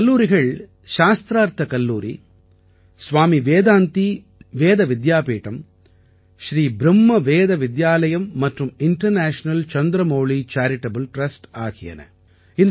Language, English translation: Tamil, These colleges are Shastharth College, Swami Vedanti Ved Vidyapeeth, Sri Brahma Veda Vidyalaya and International Chandramouli Charitable Trust